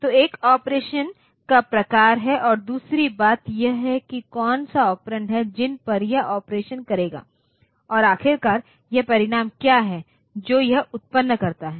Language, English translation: Hindi, So, one is the type of operation and another thing is on which, what are the operands on which it will do the operation and finally, what is the result that it produces